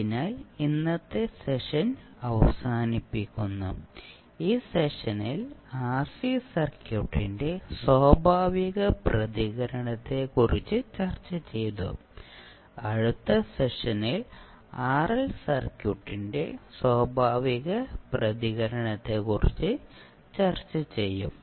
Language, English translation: Malayalam, So with this we close our today’s session, in this session we discuss about the natural response of RC circuit and in next session we will discuss about the natural response of RL circuit